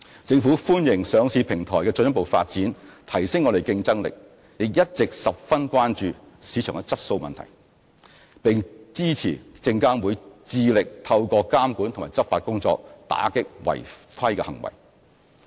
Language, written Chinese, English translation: Cantonese, 政府歡迎上市平台的進一步發展，提升我們的競爭力，也一直十分關注市場質素問題，並支持證監會致力透過監管及執法工作，打擊違規行為。, The Government welcomes the further development of the listing platform as it can enhance our competitiveness but we have always been very concerned about market quality issues and we support SFCs monitoring and law enforcement efforts in combating malpractices